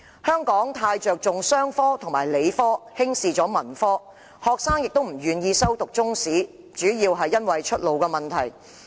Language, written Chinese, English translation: Cantonese, 香港過於着重商科和理科，輕視文科，學生亦基於出路問題，不願意修讀中史科。, In Hong Kong much more emphasis has been placed on commerce and science subjects than arts subjects . Students are also unwilling to take Chinese History as an elective due to career prospects